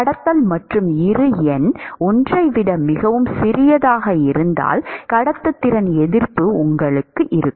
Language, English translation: Tamil, Conduction and if Bi number is much smaller than 1, then you will have resistance to conduction